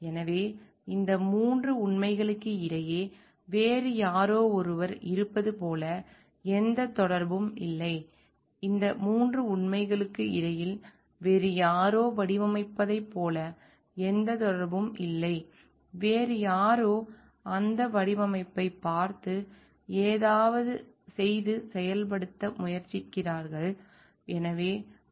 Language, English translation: Tamil, So, there is like no connectivity between these 3 facts as the someone else is as, there is no connectivity between these 3 facts as someone else has designed and somebody else is looking at that design and try to do something and implement